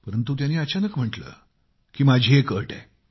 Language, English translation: Marathi, But then he suddenly said that he had one condition